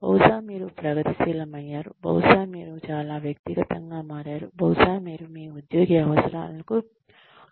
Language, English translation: Telugu, Maybe, you have become progressive, maybe you have become too personal, maybe, you have not been sensitive, to this employee